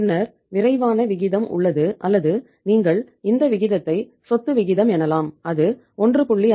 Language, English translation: Tamil, Then uh we have the quick ratio or you call it this ratio is the asset ratio also this was uh 1